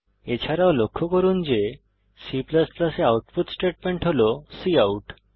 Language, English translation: Bengali, Also, notice that the output statement in C++ is cout